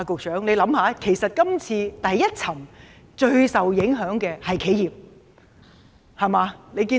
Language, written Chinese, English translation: Cantonese, 請局長想想，第一層最受影響的是企業。, The Secretary should note that those sustaining the greatest impact at the first tier are enterprises